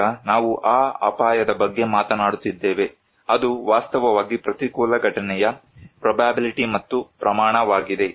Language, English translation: Kannada, Now, we are talking about that risk is actually the probability and the magnitude of an adverse event